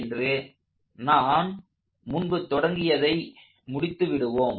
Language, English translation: Tamil, So, let us complete what we started out